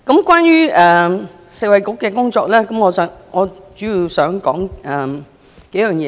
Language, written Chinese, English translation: Cantonese, 關於食衞局的工作，我主要想說幾項事情。, Regarding the work of the Food and Health Bureau I mainly want to talk about a few things